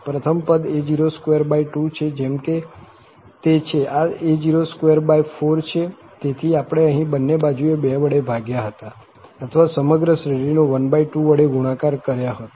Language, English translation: Gujarati, First, the first term a naught by 2, as it is a naught square by 4, so, we had divided here by 1 by 2 both the sides or multiplied by 1 by 2 to the whole series